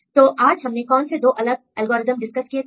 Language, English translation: Hindi, So, what are the 2 different algorithms we discussed today